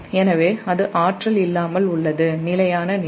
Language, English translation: Tamil, so that is without energy steady state condition